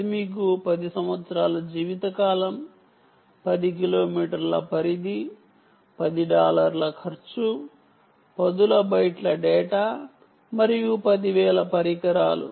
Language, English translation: Telugu, ten kilometer range, ten dollar cost, ten dollar cost tens of bytes of data and, ah, ten thousand devices